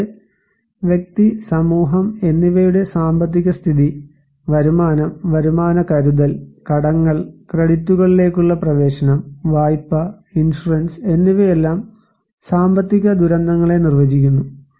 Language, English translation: Malayalam, Also, we have economic factors like economic status of individual, community, and society and income, income reserves, debts, access to credits, loan, insurance they all define the disasters